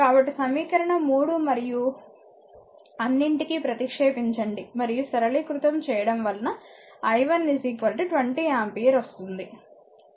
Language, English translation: Telugu, So, from equation 3 and one just substitute that is all , if you substitute and simplify you will get i 1 is equal to 20 ampere, right